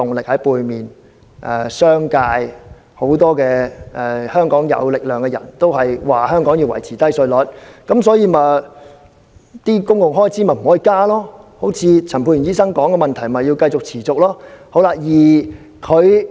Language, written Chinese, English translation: Cantonese, 所以，商界、很多有勢力人士都說香港要維持低稅率，不可以增加公共開支，而陳沛然議員提及的問題，就要持續出現。, This is the reason why the business sector and many powerful persons here have kept indicating that Hong Kong must maintain a low tax rate policy and should avoid increasing public expenditures